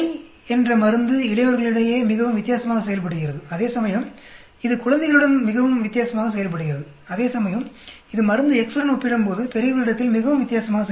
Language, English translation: Tamil, The drug Y behaves very differently between adults, whereas it works very differently with infants, whereas it works very differently on old when compared to drug X